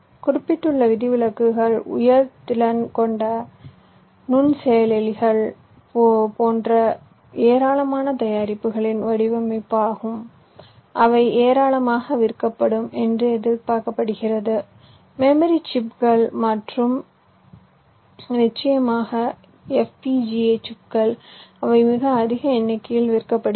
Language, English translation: Tamil, exceptions, as i mentioned, are the design of high volume products such as high performance microprocessors, which are expected to sold in plenty, memory chips and of course fpga chips, which are also sold in very large numbers